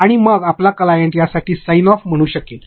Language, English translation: Marathi, And, then your client can say sign off for this